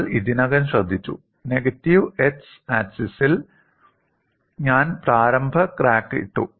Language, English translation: Malayalam, And we have already noted, on the negative x axis, I put the initial crack